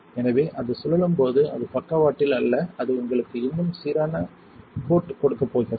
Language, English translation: Tamil, So, when it spins it is not lop sided that is going to give you a more uniformed coat